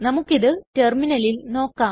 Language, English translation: Malayalam, Lets try this on the terminal